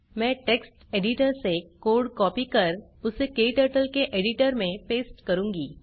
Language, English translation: Hindi, I will copy the code from text editor and paste it into KTurtles editor